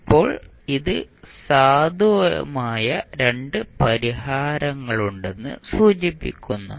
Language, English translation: Malayalam, Now, this indicates that there are 2 possible solutions